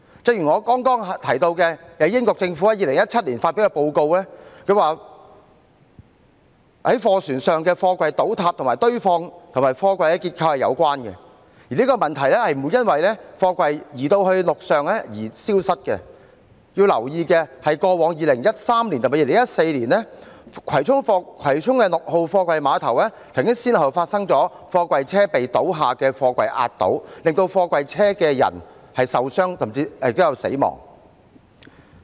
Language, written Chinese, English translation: Cantonese, 正如我剛才提到英國政府所發表的報告指，在貨船上的貨櫃倒塌與堆放及貨櫃結構有關，而這問題不會因為貨櫃移至陸上而消失，要留意的是，過往2013年及2014年，葵涌六號貨櫃碼頭曾先後發生貨櫃車被倒下的貨櫃壓倒，令到在貨櫃車內的人受傷甚至死亡。, As pointed out by the aforementioned United Kingdom Government report the way the containers were stacked and their structures had something to do with the collapse of the containers on the ship . Such a problem will not disappear when the containers are transported on land . One thing we should note is that in 2013 and 2014 there were cases in which some people working inside container trucks were injured and even killed at Container Terminal 6 in Kwai Chung after the container trucks were crushed by falling containers